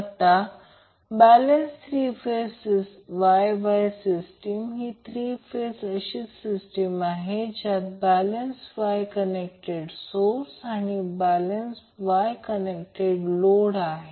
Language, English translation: Marathi, Now a balanced three phase Y Y system is a three phase system with a balance Y connected source and a balanced Y connected load